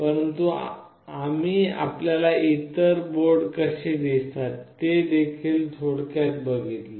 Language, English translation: Marathi, But we have also given you an overview of how other board looks like